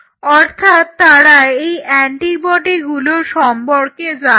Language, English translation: Bengali, So, they know this antibody and what they did